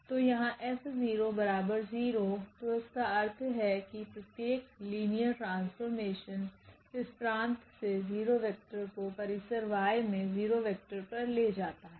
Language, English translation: Hindi, So, here F 0 so; that means, that every linear map takes the 0 vector from this domain X to the 0 vector in this range Y